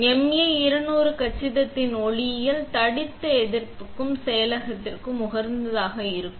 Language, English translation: Tamil, The optics of the MA200 compact are optimized for thick resist processing